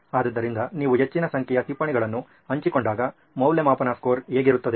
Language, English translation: Kannada, So, what is the, when you have a high number of notes shared, what is the assessment score look like